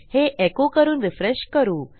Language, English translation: Marathi, Lets echo it out and refresh